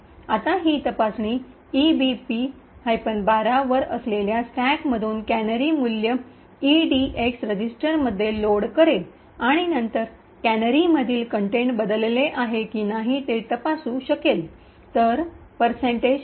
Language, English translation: Marathi, Now the check essentially would load the canary value from the stack that is at location EBP minus 12 into the EDX register and then it would check whether the contents of the canary has changed